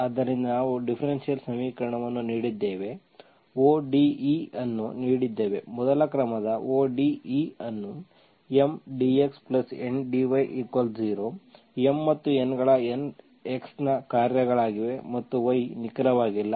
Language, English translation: Kannada, So we have given differential equation, given ODE, first order ODE as M dx plus N dy is equal to 0, M and N are functions of x and y is not exact